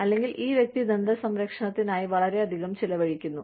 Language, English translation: Malayalam, So, this person is spending, so much on dental care